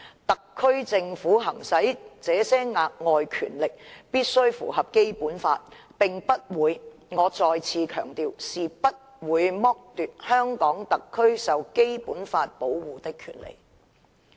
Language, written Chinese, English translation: Cantonese, 特區政府行使的這些額外權力，必須符合《基本法》，並且不會，我再次強調，不會剝奪香港特區受《基本法》保護的權利。, The SAR Government must exercise these additional powers in accordance with the Basic Law and we will not and I stress will not deprive the SAR of its rights protected by the Basic Law